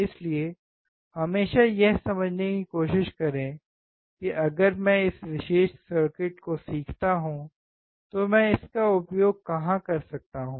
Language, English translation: Hindi, So, always try to understand that if I learn this particular circuit, where can I use it